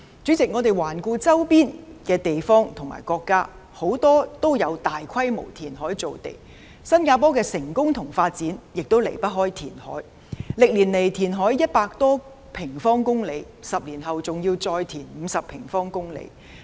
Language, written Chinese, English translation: Cantonese, 主席，環顧周邊的地方和國家，很多也有大規模填海造地，新加坡的成功與發展亦離不開填海，歷年來填海100多平方公里 ，10 年後還要再填海50平方公里。, President looking around our neighbours there have been massive reclamations in many places and countries . The success and development of Singapore also depends very much on land reclamation with more than 100 sq km reclaimed over the years and a further 50 sq km to be reclaimed in the next 10 years